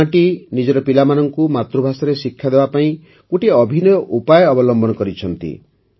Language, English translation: Odia, This village has taken a unique initiative to provide education to its children in their mother tongue